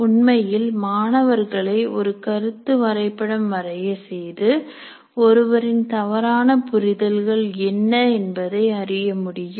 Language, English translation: Tamil, In fact, making students to draw a concept map, one can find out what are the misunderstandings of the individual